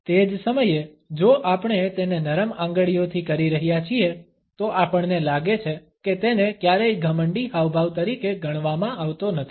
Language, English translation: Gujarati, At the same time, if we are doing it with soft fingers, we find that it is never considered as an arrogant gesture